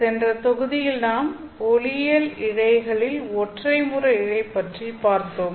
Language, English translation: Tamil, So, in the last module we were looking at the optical fiber